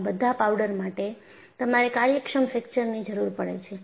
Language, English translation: Gujarati, So, for all these powders,you need efficient fracture